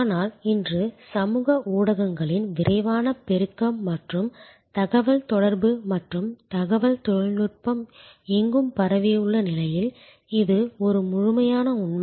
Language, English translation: Tamil, But, today with the rapid proliferation of social media and ubiquitousness of communication and information technology, this is an absolute reality